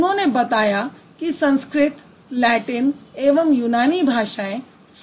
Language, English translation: Hindi, He stated that Sanskrit, Latin and Greek, their contemporary languages